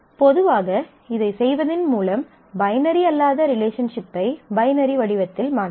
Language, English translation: Tamil, So, in general you can convert a non binary relationship by in the binary form by doing this